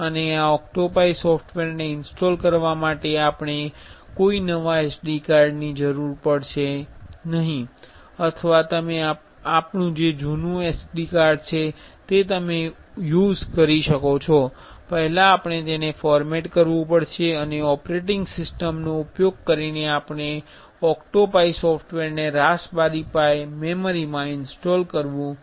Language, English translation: Gujarati, And for installing this OctoPi OctoPi software we have to be we will require a new SD card or you can use an old SD card we have to, first we have to format that and using an operating system installing software we have to install the OctoPi software into a raspberry pi memory card